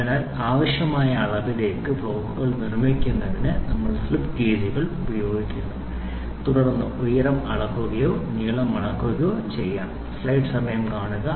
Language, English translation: Malayalam, So, we are using slip gauges to build up the blocks to the required dimension and then try to find out the height measurement or the length measurement